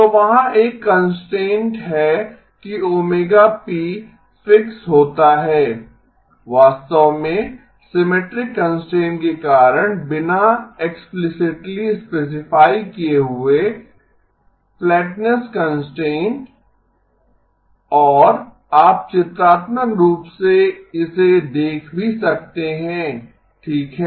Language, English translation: Hindi, So there is a constraint that omega p gets fixed without being actually being explicitly specified because of the symmetric constraint, the flatness constraint and you can also look at it pictorially okay